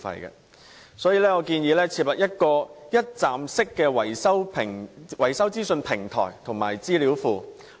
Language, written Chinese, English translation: Cantonese, 因此，我建議設立一站式維修資訊平台及資料庫。, In this connection I propose to establish a one - stop maintenance information platform and database